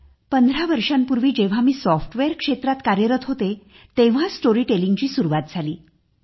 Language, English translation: Marathi, Storytelling began 15 years ago when I was working in the software industry